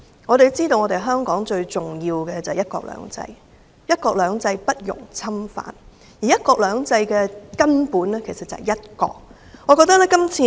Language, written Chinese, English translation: Cantonese, 我們要知道香港最重要的是"一國兩制"，"一國兩制"不容侵犯，而"一國兩制"的根本便是"一國"。, We must bear in mind that one country two systems is of vital importance to Hong Kong . One country two systems is inviolable and its core lies in one country